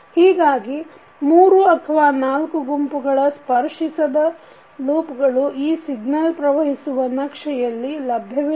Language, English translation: Kannada, So, set of three or four non touching loops are not available in this signal flow graph